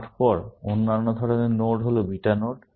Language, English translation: Bengali, Then, other kinds of nodes are beta nodes